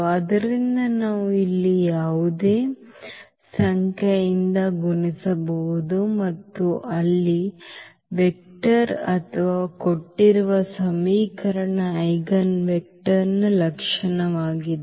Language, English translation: Kannada, So, we can multiply by any number here that will be the characteristic a vector here or the eigenvector of the given equation